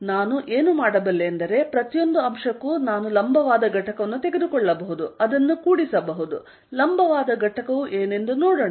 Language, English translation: Kannada, So, what I can do is, for each element I can take the vertical component add it up, let us see what the vertical component is going to be